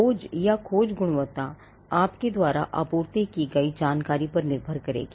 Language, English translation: Hindi, Now the search or the quality of the search will depend on the information that you have supplied